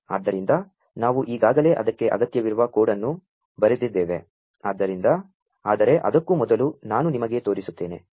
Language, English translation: Kannada, So, we have already written the code that will be required for it, but before that let me show you